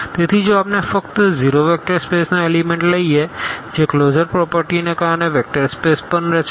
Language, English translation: Gujarati, So, if we take just the 0 element of a vector space that will form also a vector space because of the closure properties